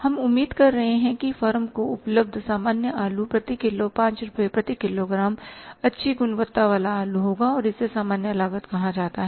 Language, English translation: Hindi, Available to the firm would be 5 rupees per kage, good quality potato but and that is called as normal cost